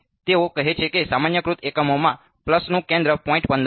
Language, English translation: Gujarati, So, they are saying a centre of the pulse is 0